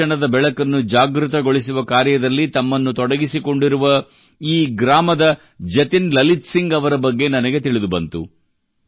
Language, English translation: Kannada, I have come to know about Jatin Lalit Singh ji of this village, who is engaged in kindling the flame of education